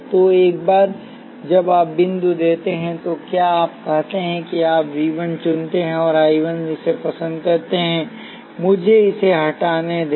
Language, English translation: Hindi, So, once you have given the dots, what you do is let say you choose V 1 and I 1 like this, let me remove this one